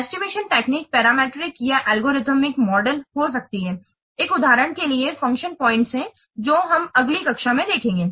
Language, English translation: Hindi, And then the estimation techniques can be parametric or algorithm models for example, function points that will see in the next class